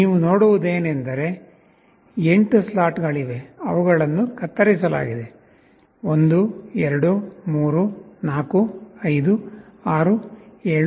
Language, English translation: Kannada, What you see is that there are 8 slots, which are cut … 1, 2, 3, 4, 5, 6, 7, 8